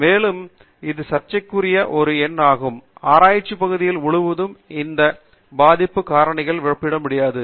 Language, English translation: Tamil, And, this is a number which is controversial; one cannot compare these impact factors across research areas